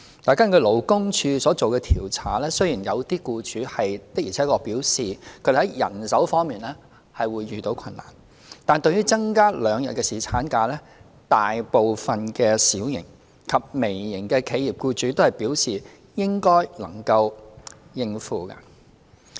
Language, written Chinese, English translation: Cantonese, 根據勞工處所作的調查，雖然有些僱主的而且確表示，他們在人手方面會遇到困難，但對於增加兩天侍產假，大部分小型及微型企業的僱主都表示應該能夠應付。, According to the surveys conducted by the Labour Department although some employers did express difficulty in manpower deployment most employers of micro and small enterprises indicated that they should be able to afford the provision of two more days of paternity leave